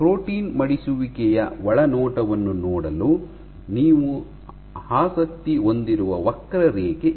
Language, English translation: Kannada, So, this is the curve that you are interested in for getting insight into protein folding